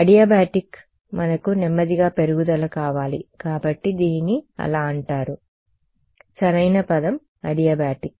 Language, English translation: Telugu, Adiabatic we want a slow increase so it is called so, correct word is adiabatic